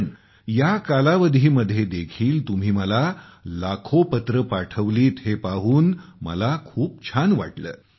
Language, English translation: Marathi, But I was also very glad to see that in all these months, you sent me lakhs of messages